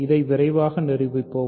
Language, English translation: Tamil, So, let us prove this quickly